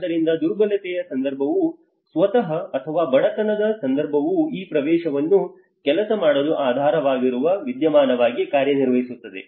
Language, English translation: Kannada, So vulnerability context itself or the poverty context itself acts as an underlying phenomenon on to making these access work and do not work